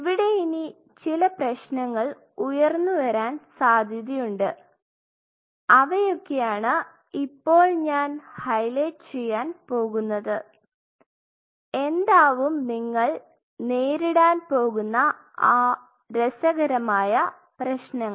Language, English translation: Malayalam, There are certain problems which are going to emerge and that is what I am going to highlight now, what are those interesting problems what you are going to face